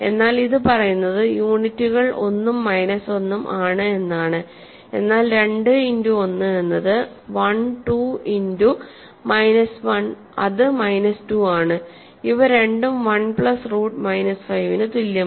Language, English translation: Malayalam, But this says that only units are 1 and minus 1, but 2 times 1 is 1 2 times minus 1 is minus 2, neither of them is equal to 1 plus root minus 5